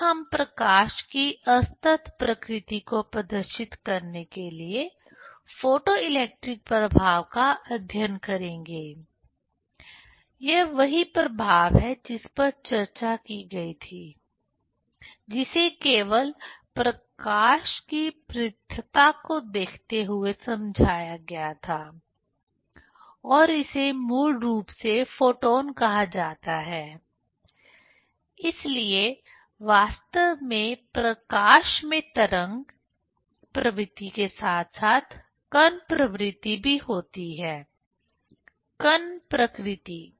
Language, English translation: Hindi, Then we will study the photoelectric effect to demonstrate the discrete nature of light; that is the effect which was discussed, which was explained only considering the discreteness of the light and that is called basically photons; so actually the light have wave property as well as particle property; particle nature